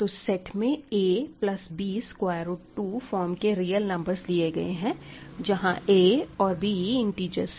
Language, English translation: Hindi, So, I am taking real numbers of the form a plus b times root 2, where a and b are integers